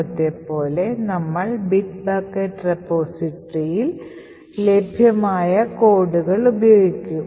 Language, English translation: Malayalam, So as before we will be using the codes that is available with Bit Bucket repository